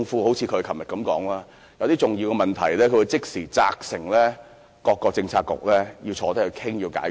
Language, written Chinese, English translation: Cantonese, 正如她昨天所說，遇上一些重要問題，她會即時責成各政策局坐下來商討、解決。, As she said yesterday if important issues arise she will instruct various Policy Bureaux to come together to discuss and find a solution to the problem